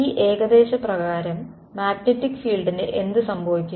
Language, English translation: Malayalam, Under this approximation, what happens to the magnetic field